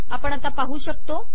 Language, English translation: Marathi, As we can see now